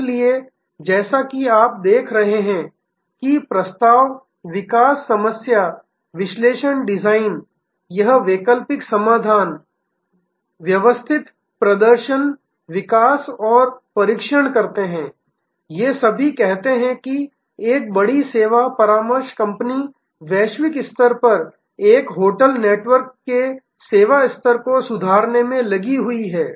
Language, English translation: Hindi, So, today is as you see proposal development problem analysis design develop and test alternative solutions develop systematic performance measures these are all part of say a large service consulting company engaged in improving the service level of say a hotel network globally